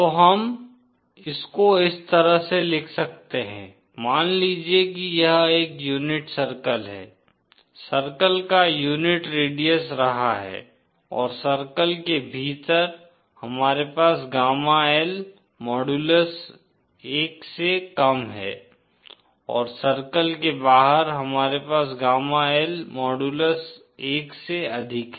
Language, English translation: Hindi, So we can write this as suppose this is a unit circle, the circle have been unit radius and within the circle, we have gamma L modulus lesser than 1 and outside the circle, we have gamma L modulus greater than1